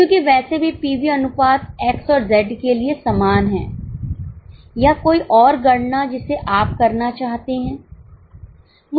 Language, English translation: Hindi, Because anyway, PV ratio is same for X and Z or any other calculation you would like to do